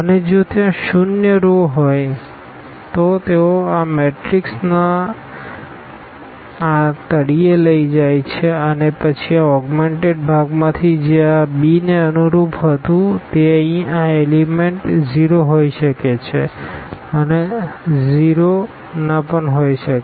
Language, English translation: Gujarati, And if there are the zero rows they are they are taken to this bottom of this matrix and then from this augmented part which was correspond to this b here these elements may be 0 and may not be 0